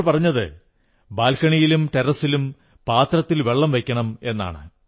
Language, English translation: Malayalam, They've mentioned that water should be kept in trays and utensils on the balcony and on the terrace